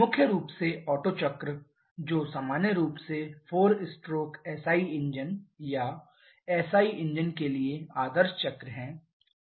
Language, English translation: Hindi, Primarily the Otto cycle which is the ideal cycle for 4 stroke SI engines or SI engines in general